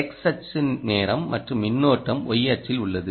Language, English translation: Tamil, ah x axis is time and current is in the ah y axis